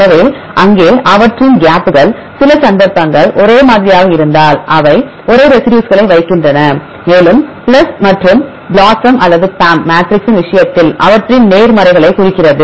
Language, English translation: Tamil, So, here their gaps; so some cases if it is same they put the same residue and a plus means their positives in the case of the BLOSUM or a PAM matrix